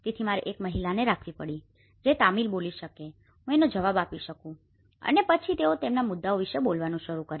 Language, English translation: Gujarati, So, I have to hire one lady who can speak Tamil and I could able to respond so and then they start speaking about their issues